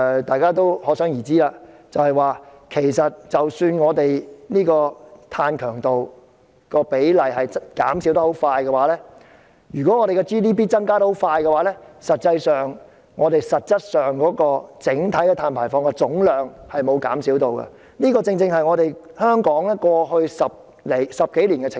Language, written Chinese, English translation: Cantonese, 大家可想而知，其實儘管碳強度的比例快速減少，但如果我們的 GDP 增長速度很快，實際上，我們整體碳排放的總量是沒有減少的，這正是香港過去10多年的情況。, As we can imagine despite a speedy reduction in the proportion of carbon intensity if our GDP grows rapidly in reality our gross carbon emissions will not be reduced and this is precisely the situation of Hong Kong over the past decade